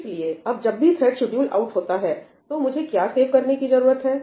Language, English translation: Hindi, So, now, when the thread gets scheduled out, what do I need to save